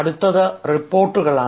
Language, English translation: Malayalam, next comes reports